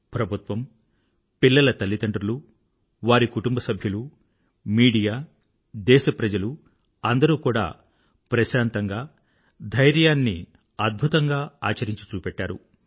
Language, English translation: Telugu, The government, their parents, family members, media, citizens of that country, each one of them displayed an aweinspiring sense of peace and patience